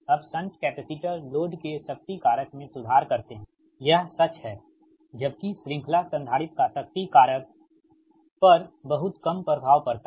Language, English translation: Hindi, now, shunt capacitors improves the power factor of the load, it is true, whereas series capacitor has little effect on power factor